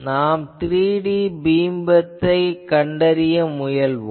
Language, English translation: Tamil, We try to find out the 3D beam width